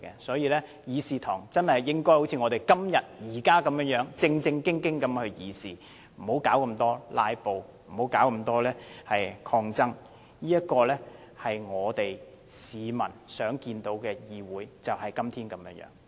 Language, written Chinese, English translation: Cantonese, 所以，希望日後議事堂真的好像今天般，議員正經地議事，不要搞這麼"拉布"、搞這麼抗爭，市民想看見的議會就是今天這樣。, For this reason I hope the Chamber is going to look like today where Members engage in serious discussions not filibusters and opposition . People will hope to see a Chamber like it is today